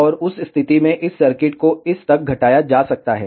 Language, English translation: Hindi, And in that case, this circuit can be reduced to this